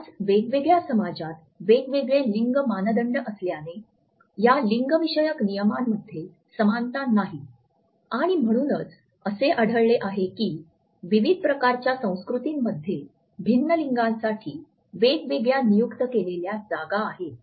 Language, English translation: Marathi, Since different societies in our world today have different gender norms, these gender norms are not necessarily symmetrical and therefore, we find that different types of cultures have different designated spaces for different genders